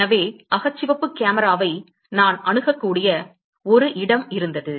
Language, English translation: Tamil, So, there was a place where I had an access to infrared camera